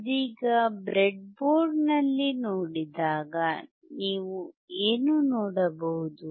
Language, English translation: Kannada, Right now, if you see, when you see on the breadboard, what you can see